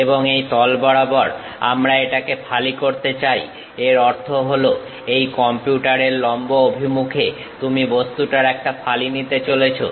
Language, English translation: Bengali, And, we would like to slice this along that plane; that means, normal to the computer you are going to take a slice of that object